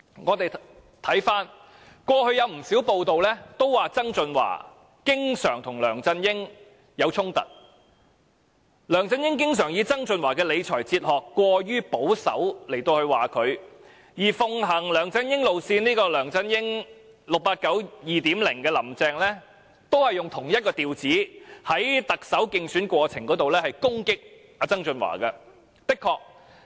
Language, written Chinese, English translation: Cantonese, 過去曾有不少報道指曾俊華經常與梁振英發生衝突，梁振英經常指責曾俊華的理財哲學過於保守，而奉行梁振英路線的 "689"2.0 亦即"林鄭"，亦以同一調子在特首競選過程中攻擊曾俊華。, According to many news reports in the past there were frequent conflicts between John TSANG and LEUNG Chun - ying and John TSANG was often criticized by LEUNG Chun - ying for adopting an overly conservative fiscal philosophy . Carrie LAM nicknamed Version 2.0 of 689 also attacked John TSANG along the same line during the Chief Executive Election